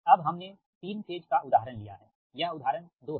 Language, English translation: Hindi, right now we consider a three phase example